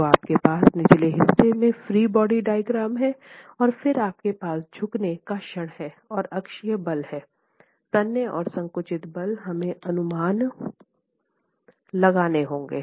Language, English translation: Hindi, So you have the free body diagram at the bottom and then you have the bending moment and the axial forces, the tensile and compressive forces that we have to estimate